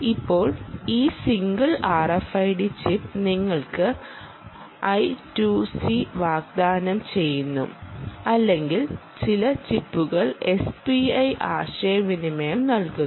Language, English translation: Malayalam, it appears now that this single r f i d chip offers you either i, two c or even some chips give you s p i communication